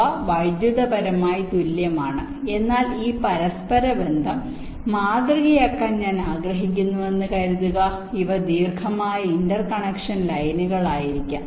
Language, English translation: Malayalam, ok, they are electrically there equivalent, but suppose i want to model this interconnection may be, these are long interconnection line